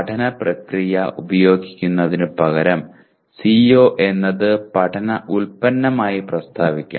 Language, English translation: Malayalam, The CO should also be stated as learning product rather than in terms of using the learning process